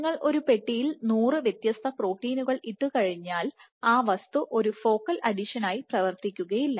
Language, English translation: Malayalam, It is not that you just put hundred different proteins in a box and the entity will operate as a focal adhesion